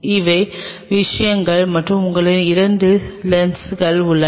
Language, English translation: Tamil, These are the things and you have couple of assembly of lens